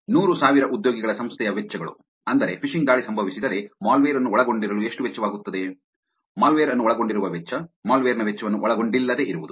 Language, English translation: Kannada, Costs of hundred thousand employees organization, which is the, if the phishing attack happens what would be the cost to contain the malware, the cost to contain a malware, the cost of malware not contained